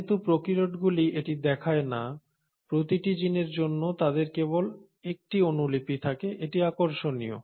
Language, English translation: Bengali, But since the prokaryotes do not exhibit that, for every gene they have only one copy, now that is interesting